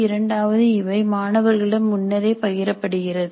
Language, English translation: Tamil, Two, the rubrics are shared upfront with students